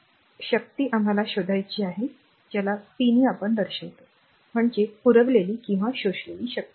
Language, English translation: Marathi, So, and power we have to find out p 1 is the power supplied or absorbed